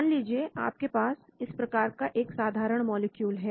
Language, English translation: Hindi, Say imagine you have a simple molecule like this